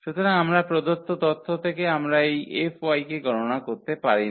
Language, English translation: Bengali, So, we cannot compute this F y from the given information